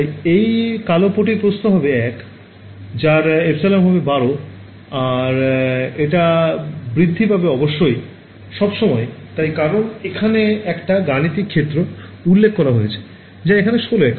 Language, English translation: Bengali, So, the width of this black strip is 1 it has epsilon equal to 12 and it extends forever of course, it extends forever because I have defined the computational domain about we have 16 units over here right